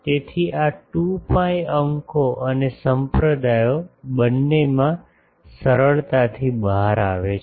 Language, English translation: Gujarati, So, these 2 pi comes out readily both in the numerator and denominator